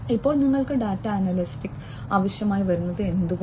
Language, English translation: Malayalam, So, why do you need data analytics